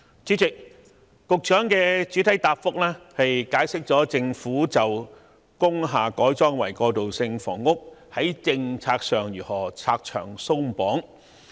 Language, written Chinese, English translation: Cantonese, 主席，局長在主體答覆解釋了政府就着工廈改裝為過渡性房屋的政策會如何拆牆鬆綁。, President the Secretary has explained in the main reply how the Government will remove obstacles in regard to the policy on the conversion of industrial buildings to transitional housing